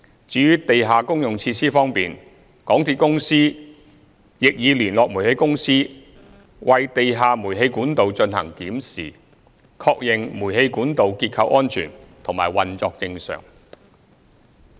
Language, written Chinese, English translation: Cantonese, 至於地下公用設施方面，港鐵公司亦已聯絡煤氣公司為地下煤氣管道進行檢視，確認煤氣管道結構安全及運作正常。, As for the underground utilities MTRCL has contacted the Towngas for an inspection of the underground gas pipes to ensure their structural safety and normal operation